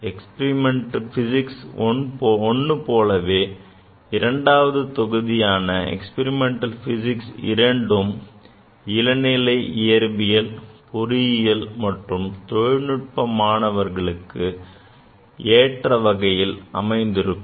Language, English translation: Tamil, Like the experimental physics I, this module II is also suitable for all undergraduate students of science, engineering and technology